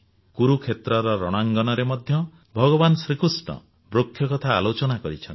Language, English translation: Odia, In the battlefield of Kurukshetra too, Bhagwan Shri Krishna talks of trees